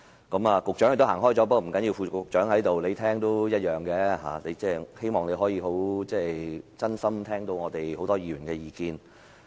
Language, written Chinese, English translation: Cantonese, 局長也離席了，不要緊，副局長在此，他在聽也是一樣，希望他能夠真心聽到我們很多議員的意見。, It will be fine as long as the Under Secretary is listening . I hope he will really listen to views of mine as well as views of other Members